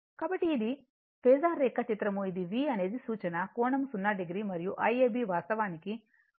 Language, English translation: Telugu, So, this is my present diagram this is V is the reference one right angle 0 degree and I ab actually leading voltage 10